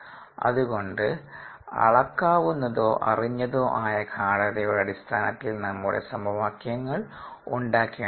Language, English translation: Malayalam, so we need to formulate our equations in terms of measurable or knowable concentrations